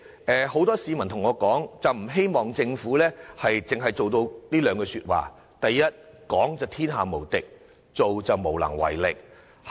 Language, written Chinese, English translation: Cantonese, 主席，很多市民對我說，不希望政府一如俗語所形容，"講就天下無敵，做就無能為力"。, President many people have relayed to me that they do not want to see that the Government is as the saying goes invincible in its words but powerless in its actions